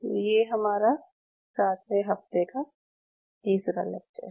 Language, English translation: Hindi, So this is our lecture 3 and this is week 7